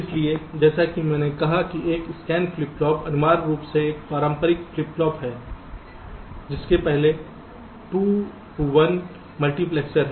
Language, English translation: Hindi, so, as i said, a scan flip flop is essentially a conventional flip flop with a two to one multiplexer before it